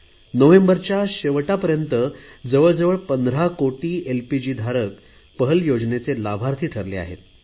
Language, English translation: Marathi, Till November end, around 15 crore LPG customers have become its beneficiaries